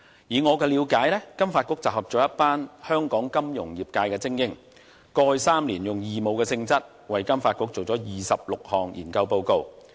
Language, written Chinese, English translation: Cantonese, 以我的了解，金發局集合了一群香港金融業界精英，過去3年以義務性質為金發局做了26項研究報告。, As far as I know FSDC has pooled together the best financial talents in Hong Kong and these people have compiled 26 research reports for FSDC over the past three years on a voluntary basis